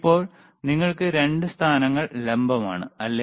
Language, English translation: Malayalam, So now you have 2 positions vertical, right